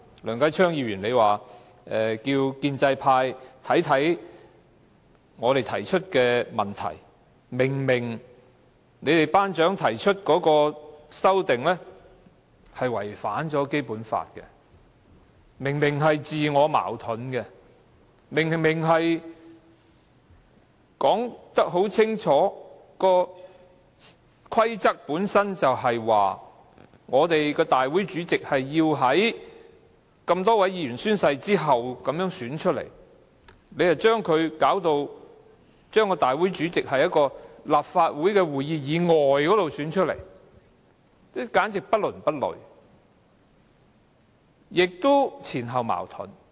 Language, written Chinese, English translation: Cantonese, 梁繼昌議員建議建制派研究我們提出的問題，例如他們的"班長"提出的修訂建議違反《基本法》且自我矛盾，《議事規則》已清楚訂明立法會主席是由眾多議員宣誓後推選出來的，但他們卻把立法會主席變成是在立法會會議以外選出的，簡直不倫不類，而且前後矛盾。, Mr Kenneth LEUNG asked pro - establishment Members to study the problems raised by us eg . the proposals to amend RoP put forward by their class prefect are in breach of the Basic Law and self - contradictory . RoP clearly provides that the President of the Legislative Council is elected by Members of the Legislative Council after they have taken the Oath but pro - establishment Members have turned the election of the President into a procedure to be held on an occasion other than at a meeting of the Legislative Council which is awkward and self - contradictory